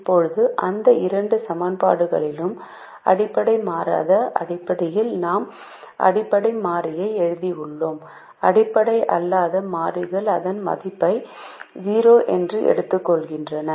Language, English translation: Tamil, now, from these two equations, where we have written the basic variable in terms of the non basic variable, the non basic variables take value zero